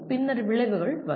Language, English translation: Tamil, And what is an outcome